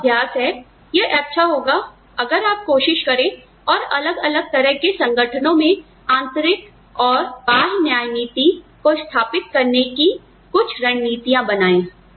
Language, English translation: Hindi, So, the exercise is, it will be nice, if you can try and come up with strategies, to establish internal and external equity, in different types of organizations